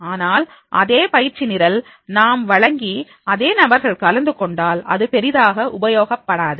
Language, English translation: Tamil, But if we are declaring the same training program and the same participants are there, then it will not make the much useful